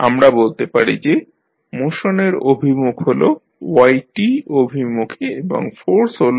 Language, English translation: Bengali, We say that the direction of motion is in this direction that is y t and force is f t